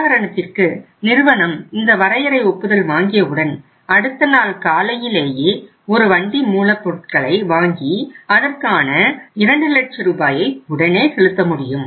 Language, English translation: Tamil, If say after sanctioning the limit next day morning firm receives a truckload of the raw material and immediately the firm has to make a payment of 2 lakh rupees